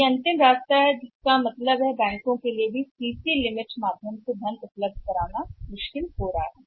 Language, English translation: Hindi, So, that is going to the final way out so it means providing the funds through CC limits even is going to be difficult for the banks